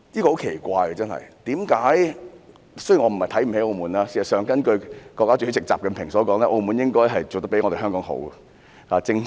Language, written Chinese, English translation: Cantonese, 我不是瞧不起澳門，事實上，根據國家主席習近平所說，澳門做得比香港好，正正......, I am not saying that I look down upon Macao . In fact according to President XI Jinping Macao has done a better job than Hong Kong